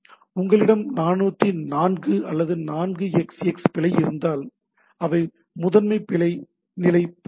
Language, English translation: Tamil, So it comes to the thing like if you had 404 or 4xx error, those are primarily error status